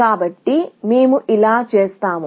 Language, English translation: Telugu, So, we do this